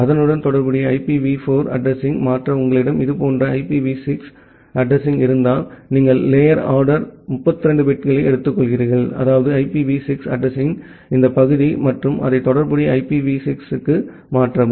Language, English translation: Tamil, And if you have a IPv6 address like this to convert it to a corresponding IPv4 address, you take the lower order 32 bits, that means this part of the IPv6 address and convert it to the corresponding IPv4